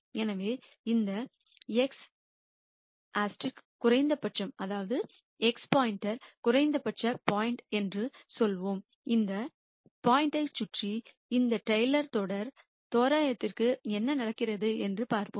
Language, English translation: Tamil, So, let us say this x star is the minimum point and let us see what happens to this Taylor series approximation around this point